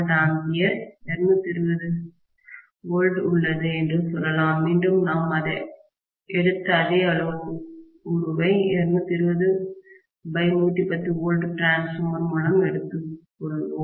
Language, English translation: Tamil, 2 kVA, 220, again let’s take the same parameter what we had taken, at 220 by 110 volts transformer, right